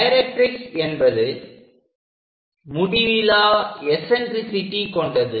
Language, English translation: Tamil, A directrix is the one which is having infinite eccentricity